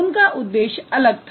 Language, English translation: Hindi, Their intention was different